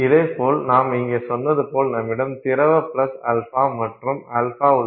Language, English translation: Tamil, Like I said you know here you simply had liquid liquid plus alpha and alpha